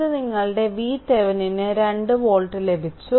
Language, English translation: Malayalam, So, V Thevenin is equal to 2 volt right